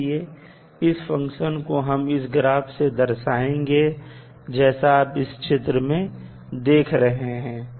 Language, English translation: Hindi, So, this function will be represented by this particular graph as you are seeing in the figure